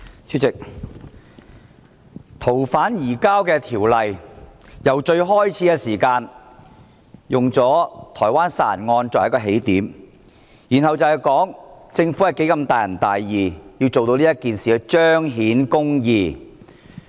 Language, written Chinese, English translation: Cantonese, 主席，有關修訂《逃犯條例》，政府初時用台灣殺人案作為起點，然後表示如何大仁大義，要為這件事彰顯公義。, President the Government first used the homicide case in Taiwan as the starting point for proposing amendments to the Fugitive Offenders Ordinance and then claimed that out of all kindness and righteousness it had to manifest justice in the case